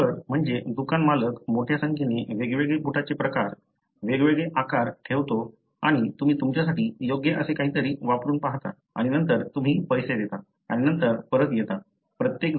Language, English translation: Marathi, You know, the shoe keeper, rather the, the shop owner keeps a large number of varieties, different sizes and you try out something that fits you and then you pay and then come back